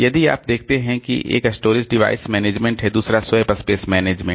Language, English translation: Hindi, One is storage device management, another is swap space management